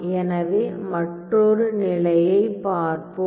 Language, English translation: Tamil, So, let us look at another case now